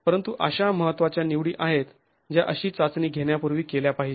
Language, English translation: Marathi, But those are important choices that have to be made before such a test is carried out